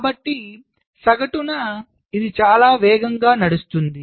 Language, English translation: Telugu, so on the average this runs much faster